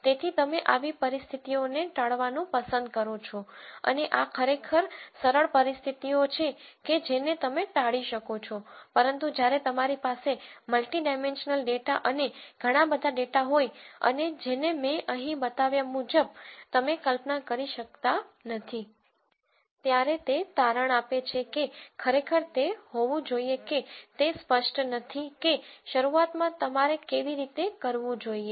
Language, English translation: Gujarati, So, you would like to avoid situations like this and these are actually easy situations to avoid, but when you have multi dimensional data and lots of data and which you cannot visualize like I showed you here it turns out it is not really that obvious to see how you should initially